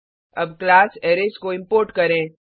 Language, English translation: Hindi, Let us now import the class Arrays